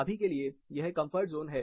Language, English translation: Hindi, For now, this is the comfort zone